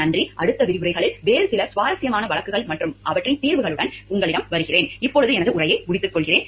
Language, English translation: Tamil, Thank you, we will come back to you again with some other in interesting cases and their solution in the next lectures to follow